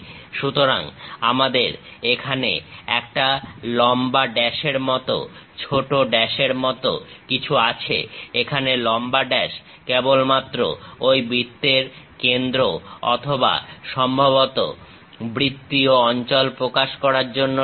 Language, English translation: Bengali, So, here we have something like a long dash, short dash, long dash just to represent the centre of that circle or perhaps circular location